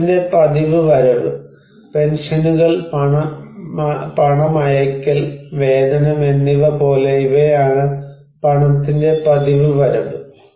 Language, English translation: Malayalam, Regular inflow of money: like pensions, remittance, wages, these are the regular inflow of money